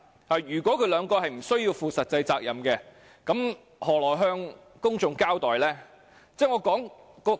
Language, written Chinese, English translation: Cantonese, 他們兩位若無須負實際責任，如何向公眾交代？, How can these two hold themselves accountable to the public if no actual responsibility is borne?